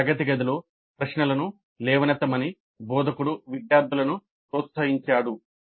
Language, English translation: Telugu, The instructor encouraged the students to raise questions in the classroom